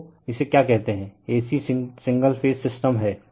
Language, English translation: Hindi, So, what you call it is your AC signal phase system